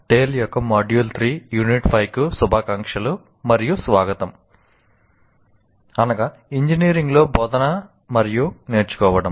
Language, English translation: Telugu, Greetings and welcome to module 3, unit 5 of tale, that is teaching and learning in engineering